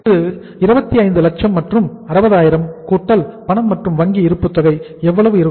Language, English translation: Tamil, This is 25 lakhs and 60 thousands plus uh cash at bank balance requirement is how much